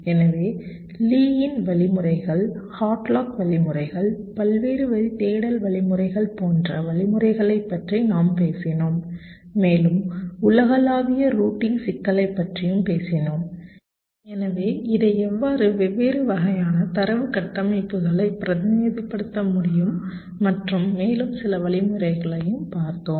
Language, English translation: Tamil, so we talked about the algorithms like lease algorithms, headlocks algorithms, the various line search algorithms, and also talked about the global routing problem, so how we can represent it, the different kind of data structures and also some of the algorithms that are used